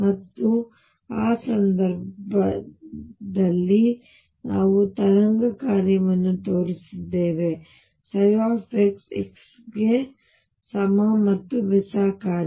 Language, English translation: Kannada, And in that case we showed that the wave function psi x was either even or odd function of x